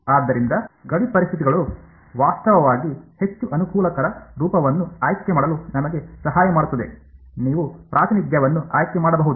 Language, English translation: Kannada, So, boundary conditions are actually what will help us to choose which is the most convenient form, you can choose either representation